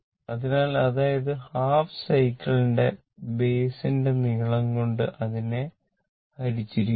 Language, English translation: Malayalam, So; that means, that is divided by the length of the base of the half cycle